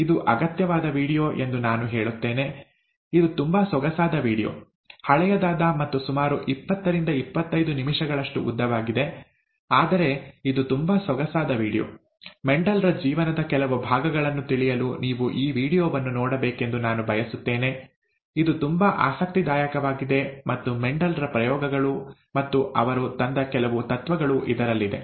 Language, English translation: Kannada, I would I would say it is a required video; it is a very nice video, slightly long, about twenty, twenty five minutes; so long, old, but it is a very nice video, okay, I would like you to watch this video to know some parts of Mendel’s life, which is very interesting and Mendel’s experiments and some of the principles that he brought forward, okay